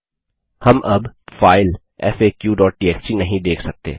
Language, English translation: Hindi, We can no longer see the file faq.txt